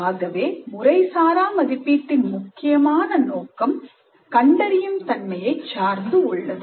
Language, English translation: Tamil, So the primary purpose of format assessment is diagnostic in nature